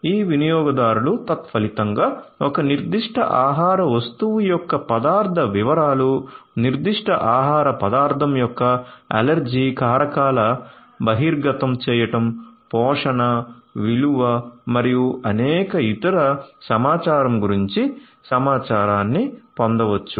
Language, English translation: Telugu, These consumers consequently can get information about the ingredient details of a particular food item, allergens exposure of that particular food item, nutrition, value and many different other Information